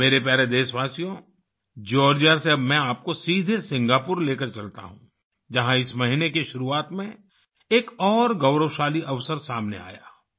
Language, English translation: Hindi, My dear countrymen, let me now take you straight from Georgia to Singapore, where another glorious opportunity arose earlier this month